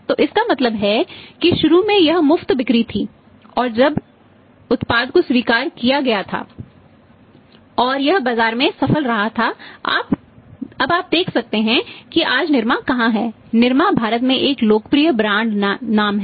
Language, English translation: Hindi, So it means initially it is free sale and then when the product was accepted and it was successful in the market now you see today then NIRMA is where the NIRMA is a popular brand name of India